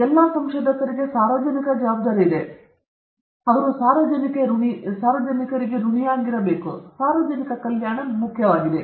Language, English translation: Kannada, So, they have a responsibility towards public; they are indebted to the public and public welfare is very important